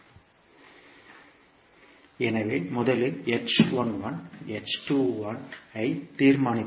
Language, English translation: Tamil, So we will first determine the h11, h21